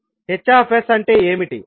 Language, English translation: Telugu, What is hs